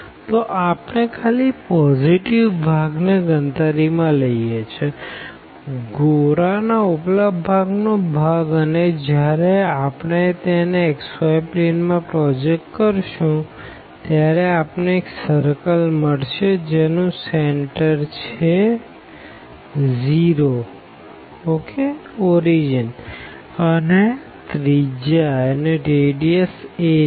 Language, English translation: Gujarati, So, we are considering only the positive part; the upper half of the sphere and when we project into the xy plane we will get this circle of radius a here and the center at 0 0 ok